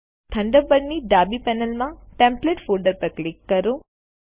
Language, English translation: Gujarati, From the Thunderbird left panel, click the Templates folder